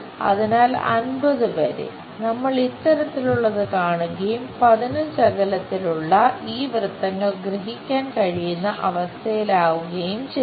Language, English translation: Malayalam, So, up to 50, we will see this kind of thing and we will be in a position to really sense these circles which are at fifteen distance